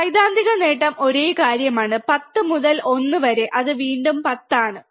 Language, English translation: Malayalam, Theoretical gain is same thing, 10 by 1, again it is 10